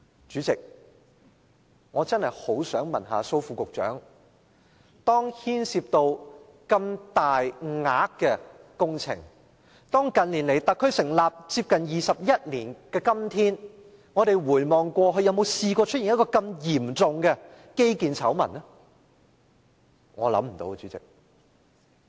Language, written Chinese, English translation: Cantonese, 主席，我真的很想問蘇副局長，工程牽涉如此大的金額，特區成立接近21年來，有否出現過如此嚴重的基建醜聞呢？, President I really want to ask Under Secretary Dr Raymond SO the following question . Has there been any other serious scandal concerning infrastructure project that involves such a large sum of money over the past 21 years following the establishment of the SAR?